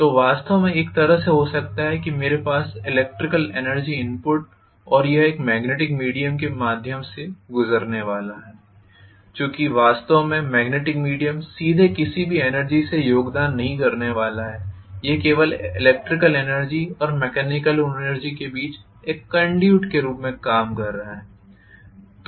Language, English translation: Hindi, So I can have actually on one side I can have electrical energy input and it is going to go through a magnetic via media because actually the magnetic medium is not going to contribute towards any energy directly, it is only serving as a conduit between the electrical energy and mechanical energy